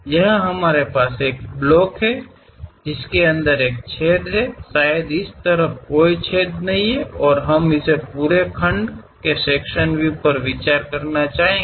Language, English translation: Hindi, Here we have a block, which is having a hole inside of that; perhaps there is no hole on this side and we will like to consider a sectional view of this entire block